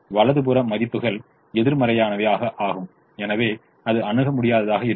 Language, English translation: Tamil, the right hand side values are negative and therefore this is infeasible